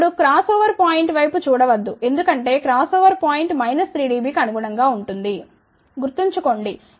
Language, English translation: Telugu, Now, do not look at the cross over point because the cross over point corresponds to about minus 3 dB, ok